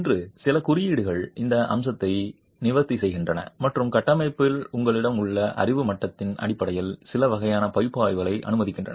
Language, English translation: Tamil, Few codes today address this aspect and permit certain types of analysis based on the knowledge level you have on the structure